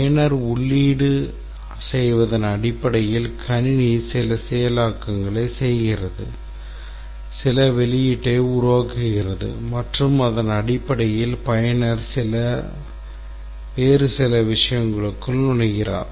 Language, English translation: Tamil, The user input something based on that the system does some processing, produces some output and based on that the user enters certain other thing and so on